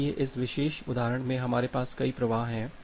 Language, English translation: Hindi, So, in this particular example we have multiple flows here